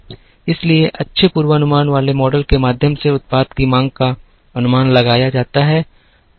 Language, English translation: Hindi, So, the demand for the product is estimated through good forecasting models